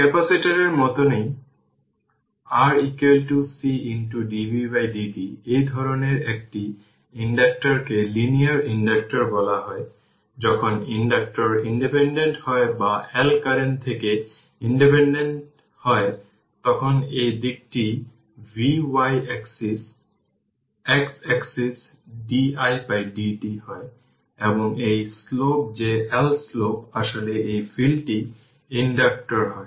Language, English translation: Bengali, Like capacitor also how we saw R is equal to C into dv by dt such an inductor is known as linear inductor right, when inductor is independent the L is independent of the current then this side is v y axis x axis is di by dt and simple straight line passing through the origin and this is the slope that L slope is actually in this case inductor